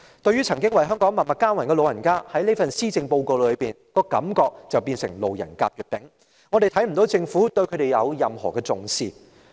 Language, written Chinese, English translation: Cantonese, 對於曾經為香港默默耕耘的長者，這份施政報告令人感到他們成了"路人甲、乙、丙"，我們看不到政府如何重視他們。, Insofar as the elderly people who have contributed quietly to Hong Kong this Policy Address gives people the impression that the elderly are nobodies . We do not see the Government giving them any attention